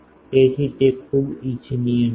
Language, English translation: Gujarati, So, it is not very desirable